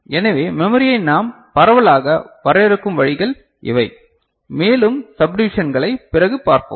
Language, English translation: Tamil, So, these are the ways we broadly define memory and then we shall see further subdivisions going forward, ok